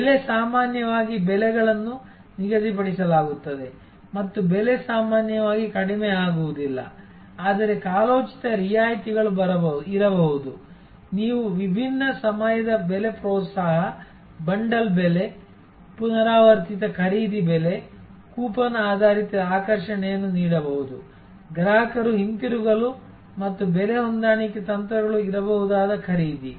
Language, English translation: Kannada, Price often actually a prices set and price is not normally reduced, but there can be seasonal discounts, you can give different times of pricing incentives, bundle pricing, repeat purchase pricing, coupon based attraction to the customer to come back and a purchase that sort of price adjustment strategies can be there